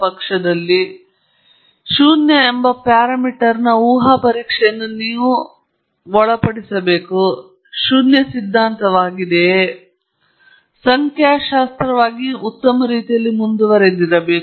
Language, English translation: Kannada, So, you should subject hypothesis test of the parameter being zero – that’s null hypothesis, and then, carry on in a statistically sound manner